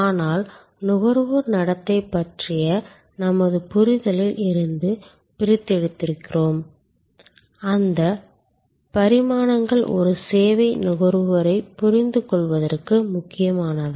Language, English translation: Tamil, But, we are extracting from our understanding of consumer behavior, those dimensions which are important for us to understand a services consumer